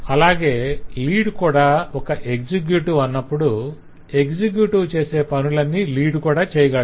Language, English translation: Telugu, when we say lead is an executive because anything that the executive can do the lead can always do